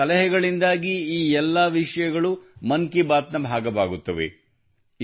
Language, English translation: Kannada, All these topics become part of 'Mann Ki Baat' only because of your suggestions